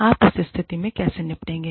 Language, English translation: Hindi, How do you deal, with that situation